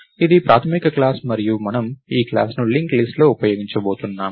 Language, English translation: Telugu, So, this is the basic class and we are going to use this class inside the linked list